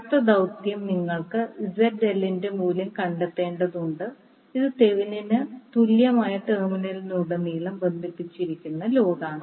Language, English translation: Malayalam, Next task is you need to find out the value of ZL, which is the load connected across the terminal of the Thevenin equivalent